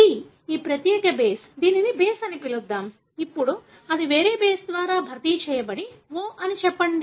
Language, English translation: Telugu, So, let us say that, ‘C’, this particular base, let’s call it as a base, now that gets replaced by a different base let’s say ‘O’